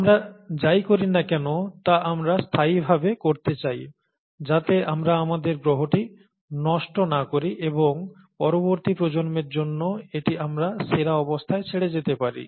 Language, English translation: Bengali, And, whatever we do, we like to do in a sustainable fashion, so that we don’t spoil the our planet, and leave it for the next generations in the best state that we can